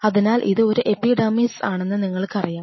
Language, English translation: Malayalam, So, I am just kind of you know this is the epidermis